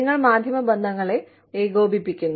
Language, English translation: Malayalam, You coordinate media relations